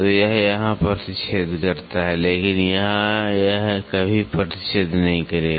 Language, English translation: Hindi, So, it intersects here, but here it will never intersect